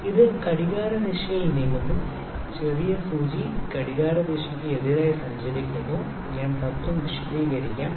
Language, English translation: Malayalam, It is moving in a clockwise direction, the smaller needle is moving with the anti clockwise direction, I will explain the principle